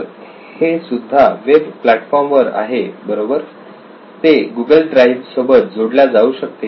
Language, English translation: Marathi, So this is on web platform right, it can be linked to google drive